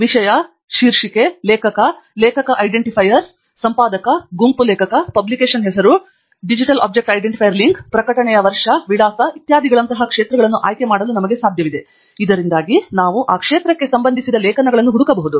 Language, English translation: Kannada, It is possible for us to choose the fields like Topic, Title, Author, Author Identifiers, Editor, Group Author, Publication Name, DOI link, Year of Publication, Address etcetera, so that we can search for articles pertaining to the respective field